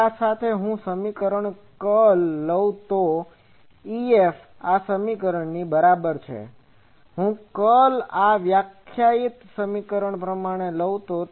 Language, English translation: Gujarati, Now with this, if I take curl of the this equation E F is equal to this equation if I take the curl, this defining equation